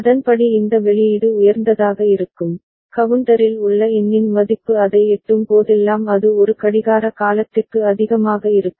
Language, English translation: Tamil, And accordingly this output will go high, whenever the count value in the counter reaches that one and it remains high for one clock period